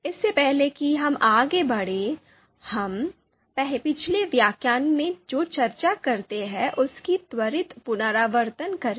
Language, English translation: Hindi, So before we move ahead, let’s do a quick recap of what we discussed in the previous lecture